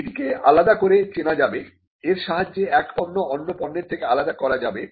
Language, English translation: Bengali, It should be distinguishable it should be capable of distinguishing one product from another